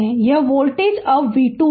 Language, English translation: Hindi, So, this voltage is now say v 2 right